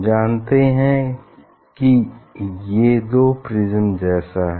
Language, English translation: Hindi, these are two prism you know